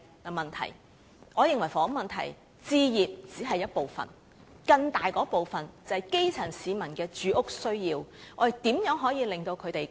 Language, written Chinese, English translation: Cantonese, 我認為置業只是房屋問題的一部分，更大的部分是基層市民的住屋需要，我們如何令他們可以及早"上樓"呢？, In my view home ownership is only part of the housing problem . A bigger part is the housing need of the grass roots . How can we help them attain early PRH allocation?